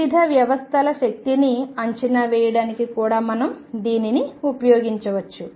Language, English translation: Telugu, We can use it also to estimate energies of different systems